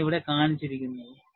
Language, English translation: Malayalam, And, that is what is depicted here